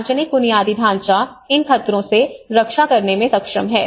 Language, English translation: Hindi, So all this public infrastructure, how they are able to protect against these hazards